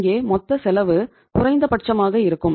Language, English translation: Tamil, Here the total cost is minimum